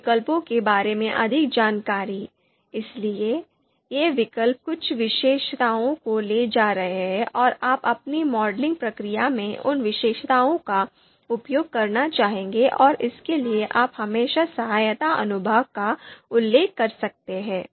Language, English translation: Hindi, Now, more details about these alternatives, so these alternatives are carrying certain attributes and you would like to use them, those attributes in your modeling process, for that you can always refer the help section